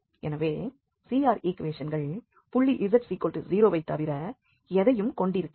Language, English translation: Tamil, So, CR equations do not hold at any other point except z is 0